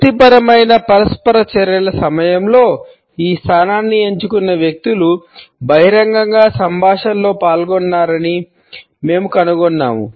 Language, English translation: Telugu, During professional interactions, we find that people who have opted for this position do not openly participate in the dialogue